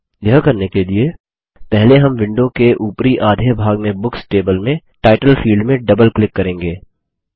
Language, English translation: Hindi, To do this, we will first double click on the Title field in the Books table in the upper half of the window